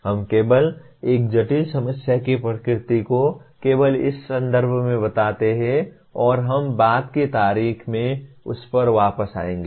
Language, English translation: Hindi, We just state the nature of a complex problem only in terms of this and we will come back to that at a later date